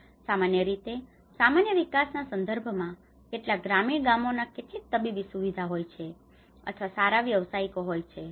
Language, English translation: Gujarati, Normally in a regular development context itself how many of the rural villages do have some medical facilities or a good professionals